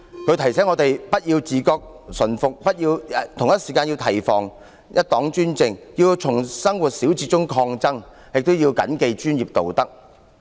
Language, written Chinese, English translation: Cantonese, 他提醒我們不要自覺馴服，同時要提防一黨專政，並要從生活小節中抗爭，以及要謹記專業道德。, He reminds us not to be consciously tame but to guard against one - party dictatorship and to fight from minor acts of everyday life and to uphold professional ethics